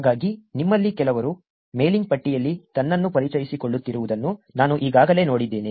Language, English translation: Kannada, So, I already saw some of you introducing itself on the mailing list